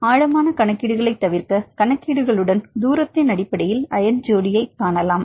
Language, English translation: Tamil, To avoid the deep calculations, with calculations; you can see the ion pairs based on just distance